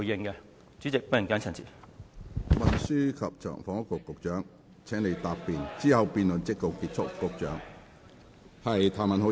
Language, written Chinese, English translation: Cantonese, 我現在請運輸及房屋局局長答辯，之後辯論即告結束。, I will now call upon the Secretary for Transport and Housing to reply . Then the debate will come to a close